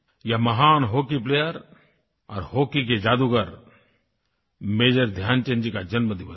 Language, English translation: Hindi, This is the birth anniversary of the great hockey player, hockey wizard, Major Dhyan Chand ji